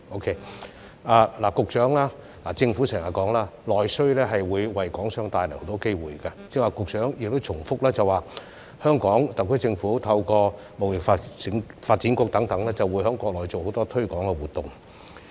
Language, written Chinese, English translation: Cantonese, 局長，政府經常表示內需會為港商帶來很多機會，局長你剛才亦重申香港特區政府會透過貿發局等在國內進行許多推廣活動。, Secretary the Government often says that domestic demand will bring Hong Kong enterprises with numerous opportunities . Just now you also reiterated that the HKSAR Government would conduct many promotional activities in the Mainland through organizations such as HKTDC